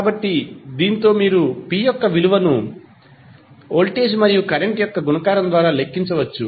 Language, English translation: Telugu, So, with this you can simply calculate the value of p as a multiplication of voltage and current